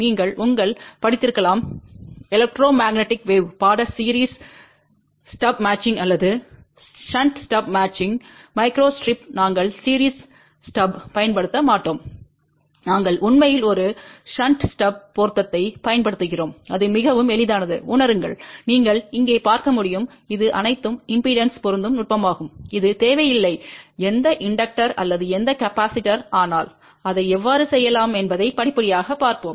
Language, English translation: Tamil, You might have studied in your electromagnetic wave course series stub matching or shunt stub matching, well in micro step we do not use series step we actually use a shunt stub matching also it is much easier to realize you can see here this is all the impedance matching technique is it does not require any inductor or any capacitor, but let us see step by step how we can do that